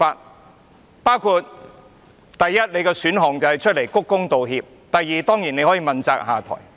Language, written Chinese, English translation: Cantonese, 你的選項包括：第一，公開鞠躬道歉；第二，問責下台。, You have two options first to bow in apology before the public; second to assume responsibility and step down